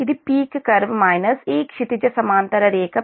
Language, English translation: Telugu, this is that peak r minus this horizontal line, p i